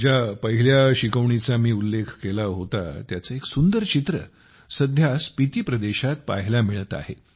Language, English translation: Marathi, The first lesson that I mentioned, a beautiful picture of it is being seen in the Spiti region these days